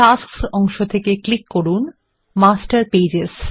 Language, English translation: Bengali, From the Tasks pane, click on Master Pages